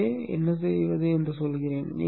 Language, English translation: Tamil, So that's what we will do